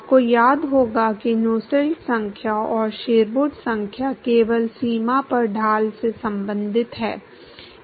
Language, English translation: Hindi, You remember that Nusselt number and Sherwood number simply relates the gradient at the boundary